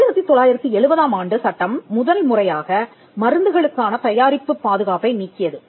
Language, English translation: Tamil, So, the 1970 act for the first time, it removed product protection for medicines